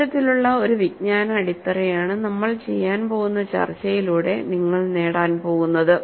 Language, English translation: Malayalam, This kind of a knowledge base, that is what we are going to gain, with the discussion that we are going to do